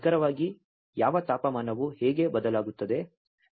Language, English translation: Kannada, And you know exactly, which temperature how it is varying